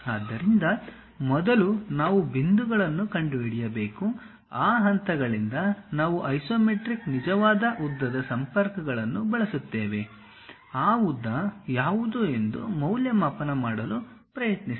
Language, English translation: Kannada, So, first we have to locate the points, from those points we use the relations isometric true length kind of connections; then try to evaluate what might be that length